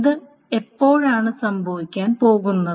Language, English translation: Malayalam, When is this going to happen